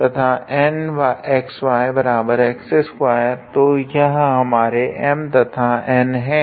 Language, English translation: Hindi, So, these are our M and N